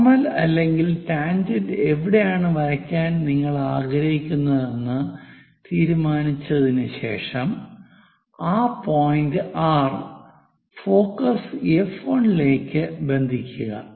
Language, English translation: Malayalam, After deciding where you would like to draw the normal or tangent connect that point R with focus F 1